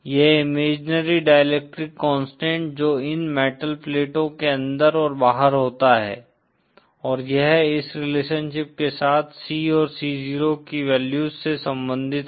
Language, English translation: Hindi, This imaginary dielectric constant that is surrounding the inside and outside of these metal plates and it is related to the values of C and C 0, with this relationship